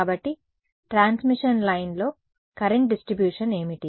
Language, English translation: Telugu, So, what is the current distribution on a transmission line